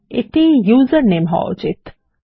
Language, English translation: Bengali, This should be username